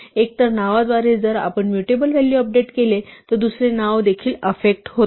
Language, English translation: Marathi, Through either name if we happened to update the mutable value the other name is also effected